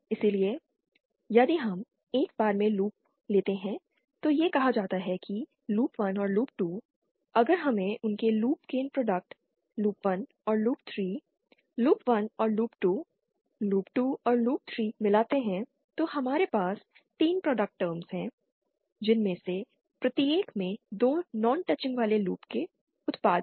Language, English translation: Hindi, So, if we take to loops at one time, that is say loop 1 and loop 2, if we find out their loop gain products, loops 1 and loop 3, loop 1 and loop 2, loop 2 and loop 3, so we will have 3 product terms, each containing the products of 2 non touching loops